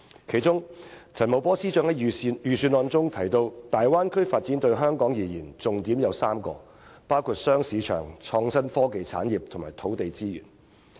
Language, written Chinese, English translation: Cantonese, 其中，陳茂波司長在預算案中提到："大灣區發展對香港而言，重點有3個，包括'雙市場'、'創新科技產業'和'土地資源'。, In this connection Financial Secretary Paul CHAN specifically states in the Budget that the Bay Area development is of strategic significance to Hong Kong in three key aspects namely two markets innovation and technology IT industries and land resources